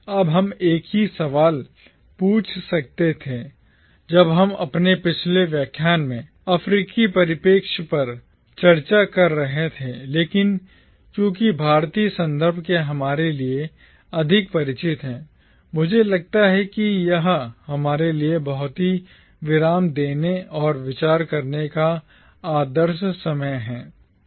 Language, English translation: Hindi, Now, one could have asked the same question while we were discussing the African perspective in our previous lecture but because the Indian context is more intimately familiar to us, I think this is the ideal time for us to pause and take a look at the very important question and try and understand the ramifications of this question